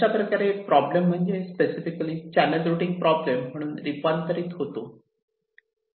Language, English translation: Marathi, so the problem boils down specifically to the channel routing problem here, right